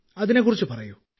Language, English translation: Malayalam, Tell me a bit